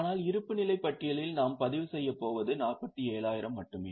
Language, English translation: Tamil, But in the balance sheet we are going to record only 47,000